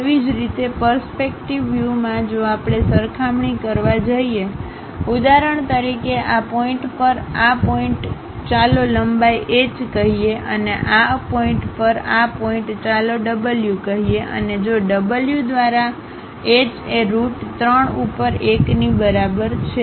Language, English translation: Gujarati, Similarly in the perspective views if we are going to compare; for example, this point to this point let us call length h, and this point to this point let us call w and if h by w is equal to 1 over root 3